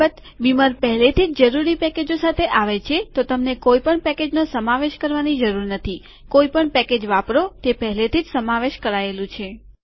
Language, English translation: Gujarati, By the way, beamer already comes with necessary packages so u dont have to include any package, use any package, it is already included